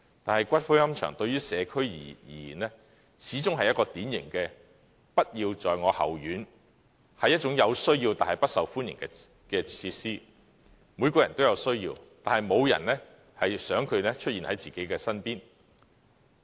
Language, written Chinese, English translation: Cantonese, 但是，龕場對於社區而言，始終是一種典型的"不要在我後院"、有需要但不受歡迎的設施，每個人均有需要，但沒有人想這設施出現在自己身邊。, That said columbarium is a typical not - in - my - backyard facility much needed but unpopular . Such a facility is needed by all but nobody wants it in their vicinity